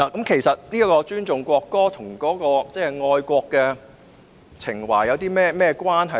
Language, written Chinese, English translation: Cantonese, 其實尊重國歌與愛國情懷有何關係？, How is the respect for the national anthem related to patriotism?